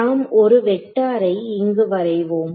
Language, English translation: Tamil, So, let us draw a vector right